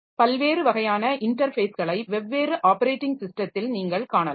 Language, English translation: Tamil, Now, there are different types of interfaces that you can find in different operating system